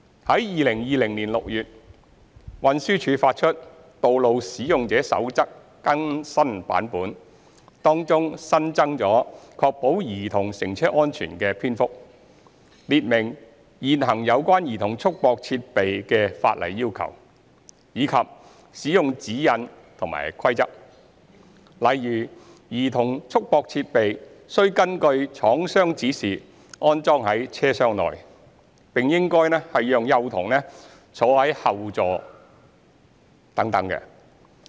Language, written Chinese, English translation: Cantonese, 於2020年6月，運輸署發出《道路使用者守則》更新版本，當中新增"確保兒童乘車安全"的篇幅，列明現行有關兒童束縛設備的法例要求，以及使用指引和規則，例如兒童束縛設備須根據廠商指示安裝於車廂內，並應讓幼童坐在後座上等。, TD published an updated version of the Road Users Code in June 2020 which includes a newly added section on Child Safety in Cars . The section sets out the prevailing statutory requirements instructions and rules concerning the use of CRD . For example CRD must be fitted to the vehicle in accordance with the manufacturers instructions; while young children should be placed in the rear seats etc